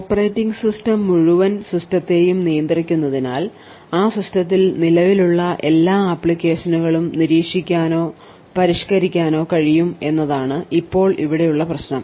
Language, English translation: Malayalam, Now the problem over here is that since the operating system controls the entire system and can monitor or modify all applications present in that system